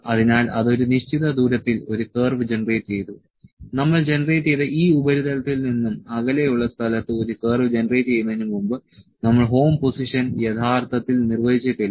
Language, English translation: Malayalam, So, it has generated the curve at a distance, we did not actually define the home position before it has generated a curve at place at a distance from this surface that we are generated